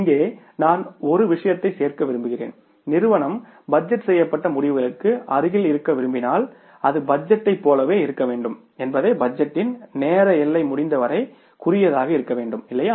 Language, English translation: Tamil, Here I would like to add one thing that if the firms wanted to be nearer to the budgeted results then it should be the budgeting should be like that the time horizon of the budgeting should be as short as possible